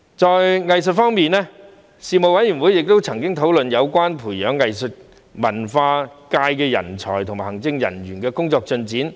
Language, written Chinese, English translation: Cantonese, 在藝術文化方面，事務委員會曾討論有關培養藝術文化界人才和行政人員的工作進展。, In the area of arts and culture the Panel discussed the Governments work on grooming talents and administrators in the arts and culture sector and its latest progress